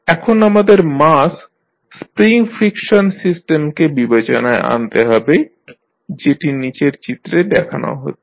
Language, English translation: Bengali, Now, let us consider the mass spring friction system which is shown in the figure below